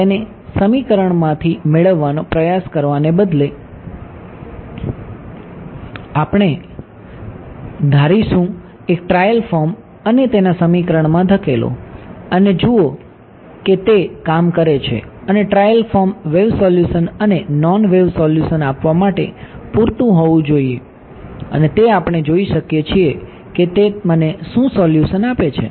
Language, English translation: Gujarati, Instead of trying to derive it from the equations we will assume a trial form and push it into the equation and see whether it works ok, and this trail form should be general enough to give wave solution and non wave solution also and we can see what is the solution that it is giving me ok